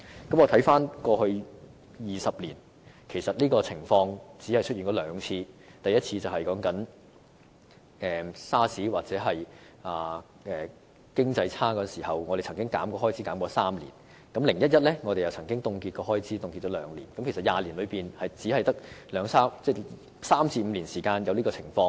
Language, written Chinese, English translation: Cantonese, 我看回過去20年，這情況只出現兩次，包括在 SARS 或經濟轉差時，我們曾削減開支3年 ，"0-1-1" 節約方案也凍結開支兩年，故20年來只曾在3年至5年間出現這種情況。, In retrospect I found that there have been only two such cases in the last two decades including a reduction of expenditure for three years due to the outbreak of SARS or the economic doldrums and the freezing of expenditure for two years under the 0 - 1 - 1 envelope savings programme . So this has happened for only three to five years over the last two decades